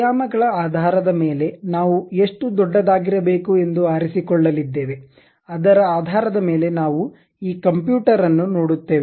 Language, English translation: Kannada, Based on the dimensions what we are going to pick how big is supposed to be based on that we will see this computer later